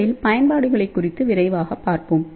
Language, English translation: Tamil, So, let us see first of all quickly application